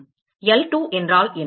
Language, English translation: Tamil, What is L2